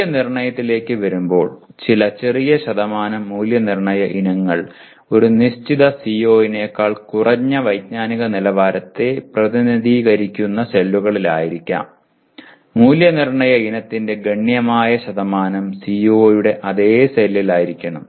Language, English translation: Malayalam, Coming to assessment while some small percentage of assessment items can be in cells representing lower cognitive levels less than that of a given CO significant percentage of assessment item should be in the same cell as that of CO